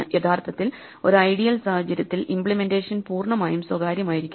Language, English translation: Malayalam, Actually, in an ideal world, the implementation must be completely private